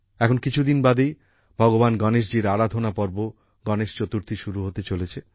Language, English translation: Bengali, Just a few days from now, is the festival of Ganesh Chaturthi, the festival of worship of Bhagwan Ganesha